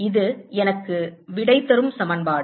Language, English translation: Tamil, this is the equation that give me the answer